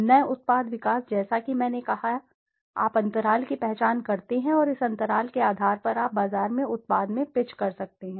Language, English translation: Hindi, New product development as I said, you identify the gaps and on basis of this gaps you can pitch in the product in the market